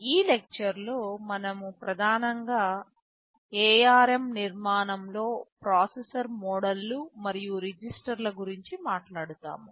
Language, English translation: Telugu, In this lecture we shall be mainly talking about the processor modes and registers in the ARM architecture